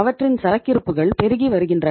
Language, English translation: Tamil, Their inventories are mounting